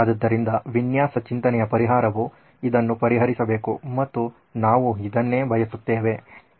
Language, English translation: Kannada, So the design thinking solution should address this and this is what we are seeking